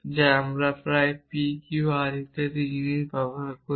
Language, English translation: Bengali, So very often we use things like P Q R and so on